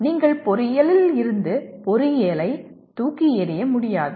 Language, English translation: Tamil, But you cannot throw away engineering from engineering